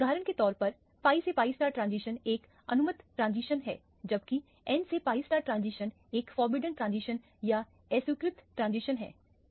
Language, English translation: Hindi, The pi to pi star transition is an allowed transition whereas the n to pi star transition is a disallowed or a forbidden transition for example